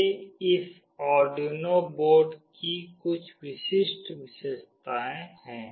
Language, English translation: Hindi, These are some typical features of this Arduino board